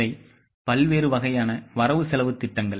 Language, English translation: Tamil, These are the various types of budgets